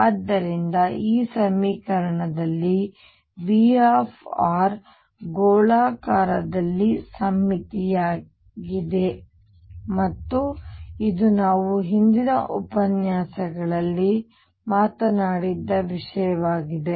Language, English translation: Kannada, So, in this equation v r is spherically symmetric, and this is something that we have talked about in the previous lectures